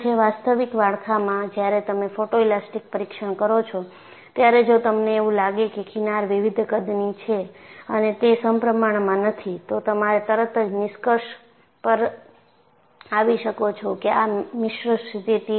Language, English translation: Gujarati, So, in an actual structure, when you do a photo elastic testing, if you find the fringes are of different sizes and they are not symmetrical, you can immediately conclude that, this is a mixed mode situation